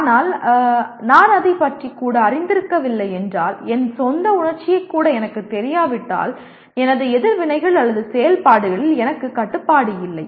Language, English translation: Tamil, But if I am not even aware of it, if I do not even know my own emotion, I do not have control over my reactions or activities